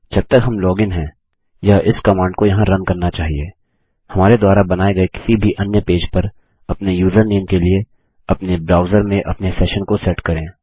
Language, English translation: Hindi, As long as we are logged in, this should run this command here, setting our session in our browser to our username on any other page we create